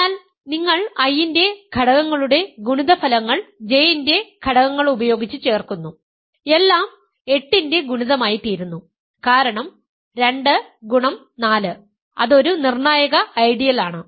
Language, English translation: Malayalam, So, you take products of I elements of I with elements of J and you add them, everything happens to be a multiple of 8 because 2 times 4, that is a crucial idea